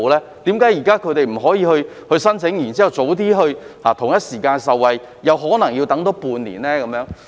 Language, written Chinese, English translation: Cantonese, 為何邨巴現在不可以申請以便在同一時間受惠，而可能要多等半年呢？, Why cant the residents bus operators file their applications now so that the residents can benefit at the same time but have to wait for probably six more months?